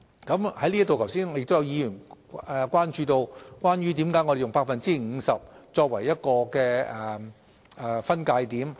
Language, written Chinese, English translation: Cantonese, 在這方面，剛才亦有議員關注到為何我們以 50% 作為分界點。, In this connection just now some Members queried why the cut - off point was set at 50 %